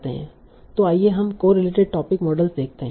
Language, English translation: Hindi, So let us see the correlated topic models